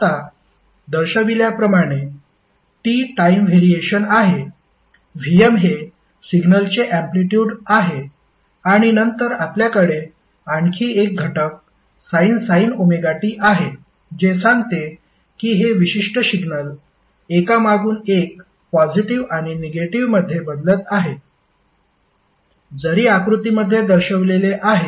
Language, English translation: Marathi, Now, T is the time variation, VM is the amplitude of the signal, and then you have another component called sine omega T which tells that this particular signal is varying alternatively from positive to negative because sign function is like this which is shown in the figure